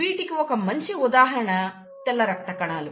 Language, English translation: Telugu, And one good example is the white blood cells